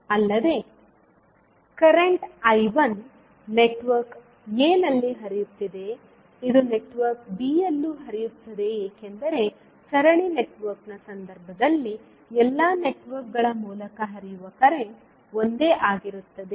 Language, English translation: Kannada, Also, the current I 1 which is flowing in the network a will also flow in network b because in case of series network the current flowing through all the networks will remain same